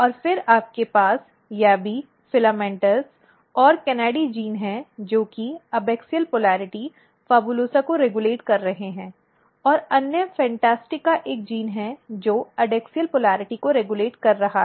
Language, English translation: Hindi, And then you have YABBY, FILAMENTOUS and KANADY as a genes which is regulating abaxial polarity PHABULOSA and other FANTASTICA is a gene which is regulating adaxial polarity